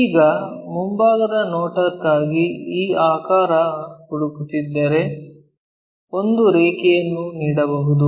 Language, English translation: Kannada, Now, if we are looking for this figure that front view might be giving a line